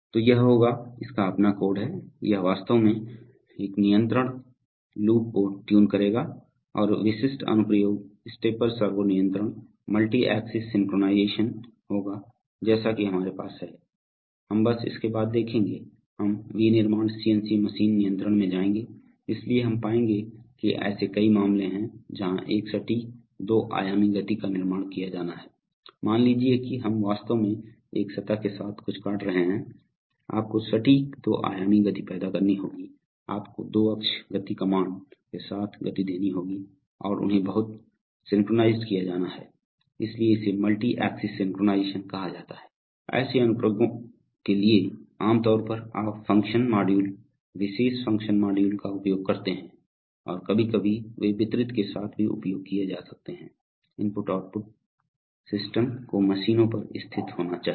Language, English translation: Hindi, So it will, it has its own code it will actually tune a control loop and typical application would be stepper servo control, multi axis synchronization, as we have, we will see after just following this, we will go into the manufacturing CNC machine control, so we will find that there are, there are many cases where a precise two dimensional motion has to be created, suppose we are, you are actually cutting something along a surface, you have to create precise two dimensional motion, so you have to give motions along two axis motion commands and they have to be very synchronized, so that is called multi axis synchronization, for such applications typically you use function modules, specialized function modules and sometimes there they could be also used with distributed i/o systems to be situated on the machines themselves